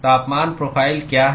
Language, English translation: Hindi, What is the temperature profile